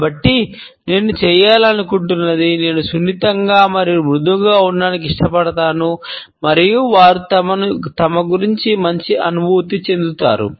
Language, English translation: Telugu, So, what I like to do is; I like to just be gentle and soft and hopefully they will feel better about themselves